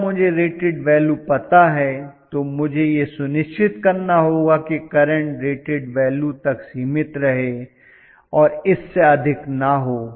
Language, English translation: Hindi, So if I know the rated value, I have to make sure that the current is limited to the rated value nothing more than that